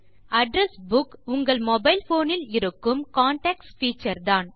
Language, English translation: Tamil, An address book works the same way as the Contacts feature in your mobile phone